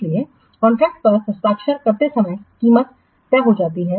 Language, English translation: Hindi, So at the time of signing the contract, the price is fixed